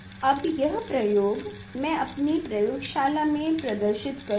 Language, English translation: Hindi, now, this experiment I will demonstrate in our laboratory